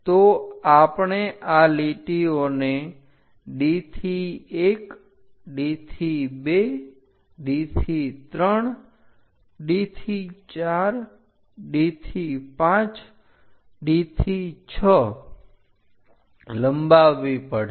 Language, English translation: Gujarati, So, we have to extend these lines D to 1 D to 2 D to 3 D to 4 D to 5 D to 6